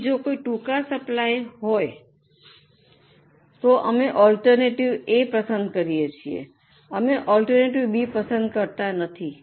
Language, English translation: Gujarati, So, if something is in short supply, we choose alternative A, we cannot go for alternative B